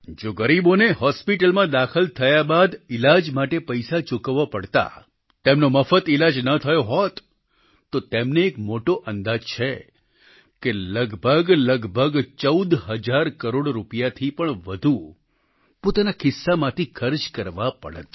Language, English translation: Gujarati, If the poor had to pay for the treatment post hospitalization, had they not received free treatment, according to a rough estimate, more than rupees 14 thousand crores would have been required to be paid out of their own pockets